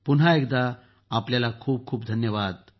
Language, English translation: Marathi, Once again, many thanks to all of you